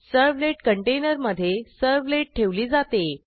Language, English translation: Marathi, A servlet is deployed in a servlet container